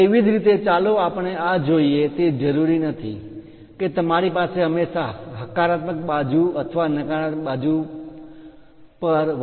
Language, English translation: Gujarati, Similarly, let us look at this one its not necessary that you always have plus or minus 0